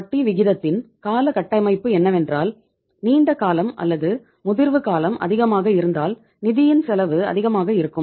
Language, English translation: Tamil, That the term structure of interest rate is that longer the duration or the longer the maturity period, higher will be the cost of the fund